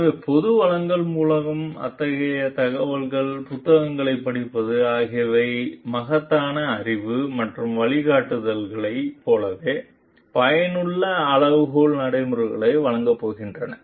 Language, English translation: Tamil, So, such of information through public resources, reading of books this is going to give like immense knowledge and guidelines, so, of useful benchmarking practices